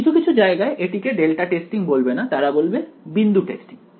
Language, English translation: Bengali, Some places will not call it delta testing they will call it point testing